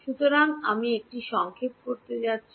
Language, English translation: Bengali, So, I am going to have a summation